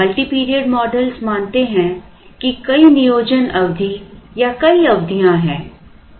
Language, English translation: Hindi, Multi period models assume that there are several planning periods or multiple periods